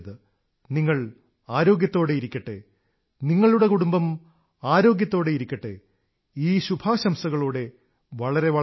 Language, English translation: Malayalam, You stay healthy, your family stays healthy, with these wishes, I thank you all